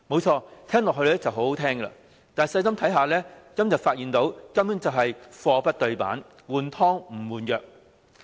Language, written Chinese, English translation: Cantonese, 這很動聽，但細心一看，便會發現根本是貨不對辦，"換湯不換藥"。, This sounds appealing but if we take a close look we can see that the Budget is just old wine in a new bottle totally unlike how it is marketed